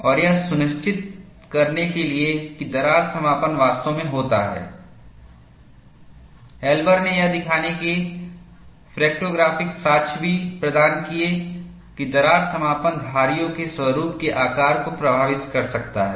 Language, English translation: Hindi, And, in order to ensure that crack closure indeed happens, Elber also provided fractographic evidence to show, that crack closure could affect the shape of the striation pattern